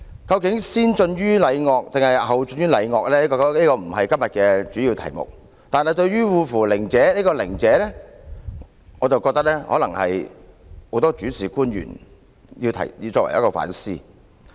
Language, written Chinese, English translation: Cantonese, 究竟先進於禮樂，抑或後進於禮樂，這個不是今天的主要題目，但對於"惡夫佞者"中的"佞者"，我認為可能值得大部分問責官員反思。, Whether rituals and music should come first or afterward is not the main topic today but I think the latter part of the phrase that is glib - tongued would be worth reflecting by most accountable officials